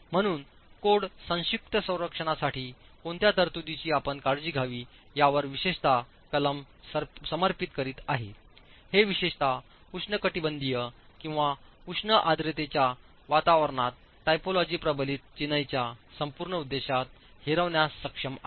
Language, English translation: Marathi, So, the fact that the code is dedicating a section specifically on what provisions you must take care of corrosion protection is simply because of this problem being able to defeat the whole purpose of the typology reinforced masonry, particularly in tropical or high humidity climates